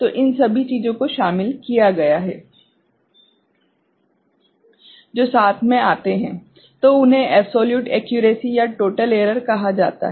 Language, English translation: Hindi, So, all those things included, what you come up with is called the total error or absolute accuracy